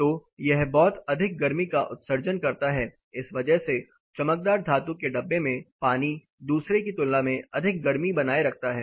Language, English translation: Hindi, So, it emits the lot of heat in that reason for that reason this shiny metal contain, water in this container retains more heat compared to the other one